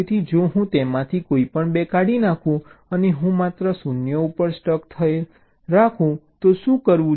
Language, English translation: Gujarati, so what if i delete any two of them and and i keep only a stuck at zero